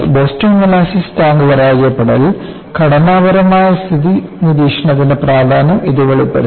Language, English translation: Malayalam, In the case of Boston molasses tank failure, it has brought out the importance of structural health monitory